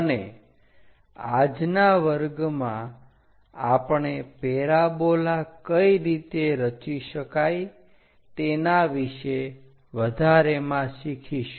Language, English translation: Gujarati, And in today's class, we will learn more about how to construct parabola